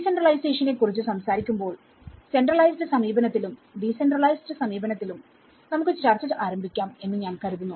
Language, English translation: Malayalam, When we talk about decentralization, I think let’s start our discussion with the centralized approach and the decentralized approach